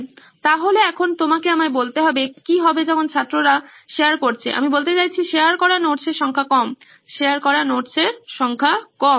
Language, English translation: Bengali, So, now you have to tell me what happens when the student shares, I mean number of notes shared are low, number of notes shared is low